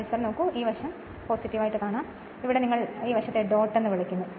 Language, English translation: Malayalam, Look at the look at the my cursor this side is a plus, this side is your what you call dot